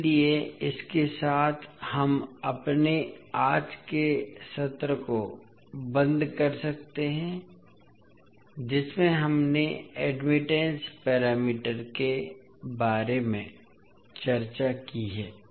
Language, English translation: Hindi, So with this we can close our today’s session in which we discussed about the admittance parameters